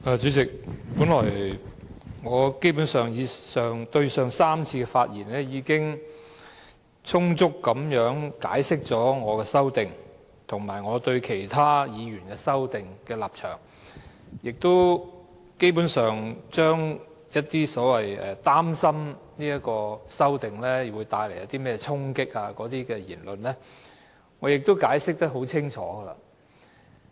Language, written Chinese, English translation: Cantonese, 主席，本來我前3次發言已充分解釋了我的修正案，以及我對其他議員的修正案的立場，也基本上就着所謂擔心修正案可能帶來衝擊的言論作出非常清楚的解釋。, Chairman in my three previous speeches I have already fully explained my amendment and my position on the other Members amendments and I have basically given a very clear explanation on those remarks expressing worries about the possible impact caused by the amendments